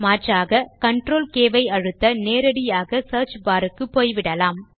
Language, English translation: Tamil, Alternately, you can press CTRL+K to directly go to the Search bar field